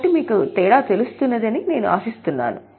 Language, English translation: Telugu, So, I hope you are getting the difference